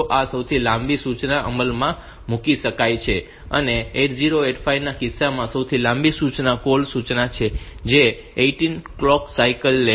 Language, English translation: Gujarati, So, that this longest instruction can be executed and in case of 85 the longest instruction is the call instruction that takes 18 clock cycles